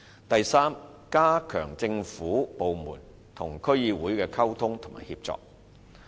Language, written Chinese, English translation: Cantonese, 第三，加強政府部門與區議會的溝通及協作。, Third strengthening the communication and collaboration between government departments and DCs